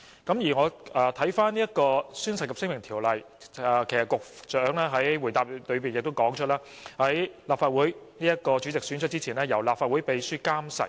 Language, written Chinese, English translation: Cantonese, 正如局長在主體答覆中已指出，《條例》訂明，如果宣誓在選舉立法會主席之前作出，須由立法會秘書監誓。, As indicated by the Secretary in the main reply the Ordinance stipulates that the Legislative Council Oath if taken before the election of the President of the Council shall be administered by the Clerk to the Council